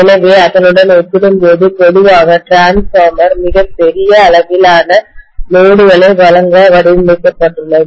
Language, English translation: Tamil, So compared to that, generally the transformer will be designed for supplying a very large amount of load